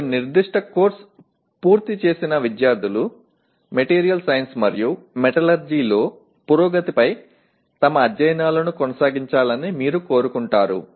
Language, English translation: Telugu, You want the students who have completed a particular course to continue their studies of advancement in material science and metallurgy